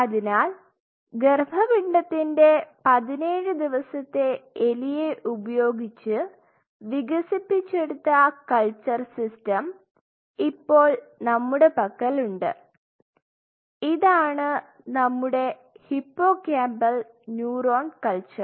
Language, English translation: Malayalam, So, we developed a culture system, using fetal 17 day rat and this is our hippocampal neuron culture